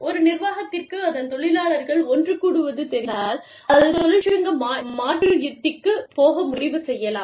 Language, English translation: Tamil, The organization, if an organization, comes to know, that its employees are getting together, it may decide to go for a, union substitution strategy